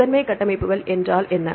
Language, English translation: Tamil, Primary structures, what is a primary structure